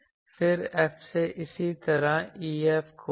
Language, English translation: Hindi, Then, from F find similarly E F